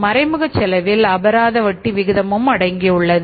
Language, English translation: Tamil, Direct cost is the penal rate of interest